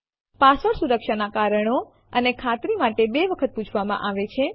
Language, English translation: Gujarati, The password is asked twice for security reasons and for confirmation